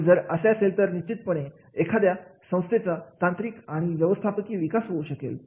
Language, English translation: Marathi, If that that is applicable, then definitely there will be technical and management development in the organization